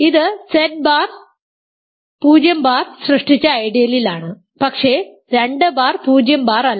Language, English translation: Malayalam, This is in the ideal generated by z bar 0 bar, but 2 bar is not 0 bar right